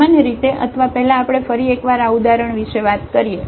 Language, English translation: Gujarati, In general, or first let us talk about this example once again